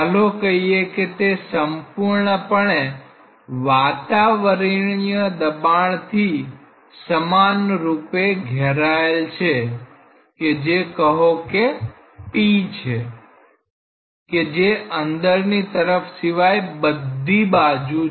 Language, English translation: Gujarati, Let us say that it is entirely surrounded in a uniform atmospheric pressure which say is p atmosphere which is along all the sides except the inside part